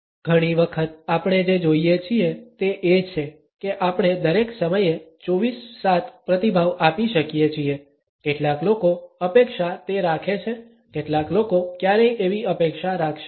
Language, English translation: Gujarati, Often times what we see is, that we can respond 24 7 all the time, some people expect that some people would never expect that